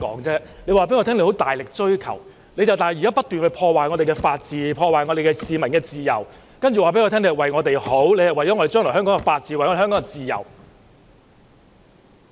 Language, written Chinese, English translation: Cantonese, 他們說大力追求法治，但現在卻不斷破壞法治，破壞市民的自由，然後說是為了我們好，為了香港將來的法治，為了香港的自由。, They said they earnestly pursue the rule of law but now they keep ruining the rule of law and hampering the peoples freedom . Then they said it is for our betterment for the rule of law in Hong Kong in the future and for the freedom in Hong Kong